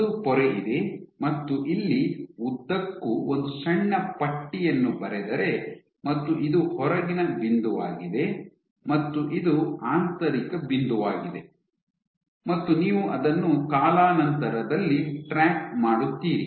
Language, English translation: Kannada, You have a membrane, you draw a very small strip somewhere and along the length, so you have outermost point and this is innermost point; you track it over time